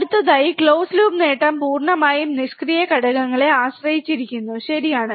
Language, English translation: Malayalam, Next, close loop gain depends entirely on passive components, right